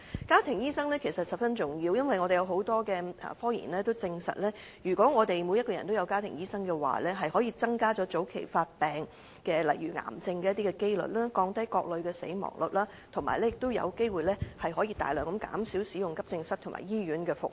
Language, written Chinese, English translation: Cantonese, 家庭醫生十分重要，因為有很多科研也證實，如果每個人也有家庭醫生，可以增加早期發現病症例如癌症的機率，降低各類的死亡率，以及有機會大量減少使用急症室和醫院的服務。, Family doctors play a very important role . According to many scientific research findings the rate of early identification of diseases such as cancers will be increased and the mortality rates reduced if everyone has a family doctor . Hence having a family doctor may possibly reduce the usage of the Accident and Emergency departments and hospital services substantially